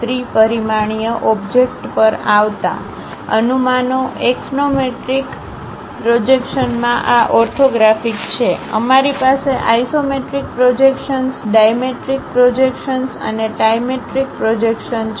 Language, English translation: Gujarati, Coming to three dimensional object; the projections, in axonometric projections these are orthographic; we have isometric projections, dimetric projections and trimetric projections